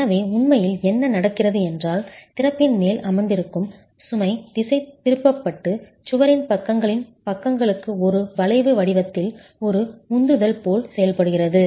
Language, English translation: Tamil, So, what's really happening is the load that is sitting on top of the opening is getting diverted and acts as a thrust in the form of an arch to the sides of the walls